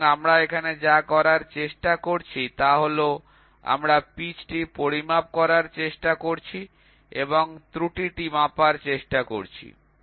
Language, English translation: Bengali, So, here what we are trying to do is we are trying to measure the pitch and we are trying to quantify the error